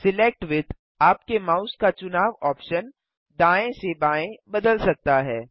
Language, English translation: Hindi, Select with can change the selection option of your mouse from right to left